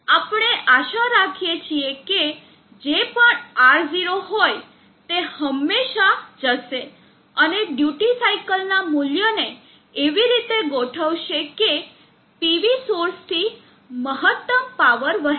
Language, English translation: Gujarati, And we except that whatever may be R0, this will always go and adjust the value of the duty cycle in such a way that maximum power is drawn from the PV source